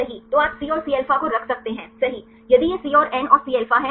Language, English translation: Hindi, So, you can put the C and Cα right if it is C and N and Cα right